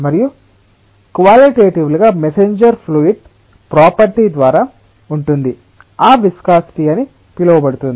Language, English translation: Telugu, and qualitatively that messenger is through the fluid property known as viscosity